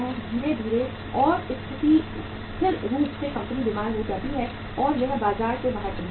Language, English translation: Hindi, Slowly and steadily the company becomes sick and it goes out of the market